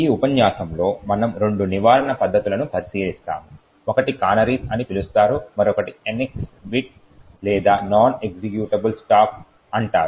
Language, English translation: Telugu, In this lecture we will look at two prevention techniques, one is called canaries while the other one is called the NX bit or the non executable stack